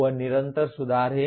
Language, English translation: Hindi, That is continuous improvement